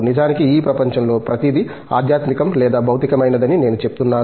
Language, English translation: Telugu, In fact, I say everything in this world is either spiritual or material